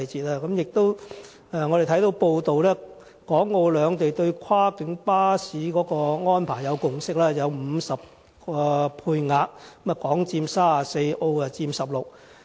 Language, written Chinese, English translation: Cantonese, 我們亦看到報道，港澳兩地對跨境巴士的安排有共識，在50個配額中，香港佔34個，澳門佔16個。, We noticed that it was reported that the Governments of Hong Kong and Macao had reached a consensus on the arrangements for cross - boundary coaches . The quota would be 50 of which 34 would be issued to Hong Kong vehicles and 16 to Macao vehicles